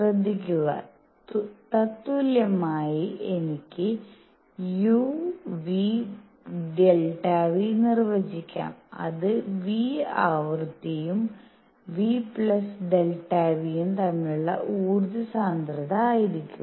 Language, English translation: Malayalam, Notice, equivalently I can also define u nu; delta nu which will be energy density between frequency nu and nu plus delta nu